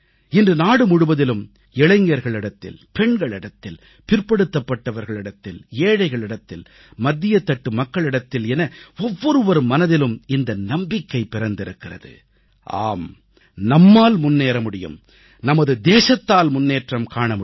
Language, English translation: Tamil, Today, the entire country, the youth, women, the marginalized, the underprivileged, the middle class, in fact every section has awakened to a new confidence … YES, we can go forward, the country can take great strides